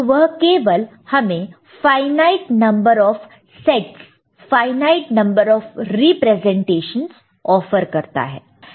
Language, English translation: Hindi, So, that only offers you a finite number of sets, finite number of representations